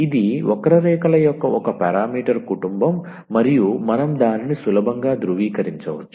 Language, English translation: Telugu, So, this is a one parameter family of curves and we one can easily verify that